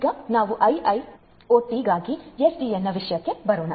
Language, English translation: Kannada, So, let us now get into the issue of SDN for IoT